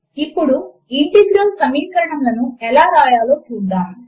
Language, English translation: Telugu, Now let us see how to write Integral equations